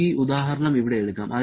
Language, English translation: Malayalam, Let us take this example here